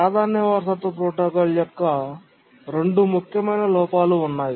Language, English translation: Telugu, There are two important drawbacks of the priority inheritance protocol